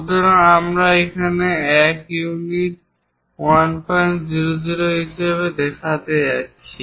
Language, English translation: Bengali, So, that is what we are showing here as 1 unit 1